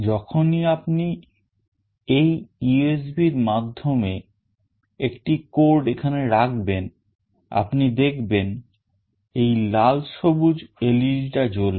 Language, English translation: Bengali, Whenever you will dump a code through this USB, you will see that this red/green LED will glow